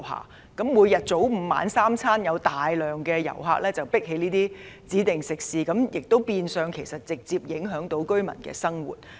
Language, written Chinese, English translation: Cantonese, 如果大量旅客早午晚三餐都擠在一些指定食肆，便會直接影響到居民的生活。, If those designated restaurants are crammed with a large number of visitors for breakfast lunch and dinner the life of the residents will be directly affected